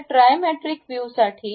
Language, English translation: Marathi, Now, for the Trimetric view